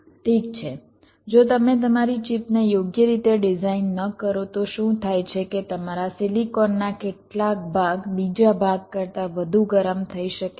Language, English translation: Gujarati, well, if you do not design your chip in a proper way, what might happen is that some part of your silicon might get heated more than the other part